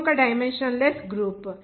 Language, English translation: Telugu, This is one dimensionless group